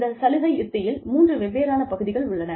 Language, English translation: Tamil, Now, the benefits strategy consists of three different parts